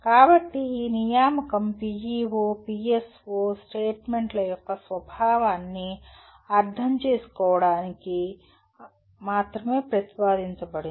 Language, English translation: Telugu, So these assignment are proposed only to understand, to facilitate the understanding of the nature of PEO, PSO statements